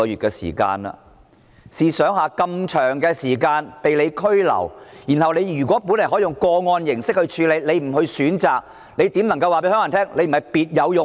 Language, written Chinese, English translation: Cantonese, 試想一下，疑犯這麼長時間被拘留，局長原本可以用個案形式來處理，但他不選擇這樣做，如何能夠告訴香港人他不是別有用心？, Considering that the suspect has been detained for such a long time and the Secretary could have handled the matter on a cased - based approach but he has not chosen to do so . How then can he tell Hong Kong people that he does not have an ulterior motive?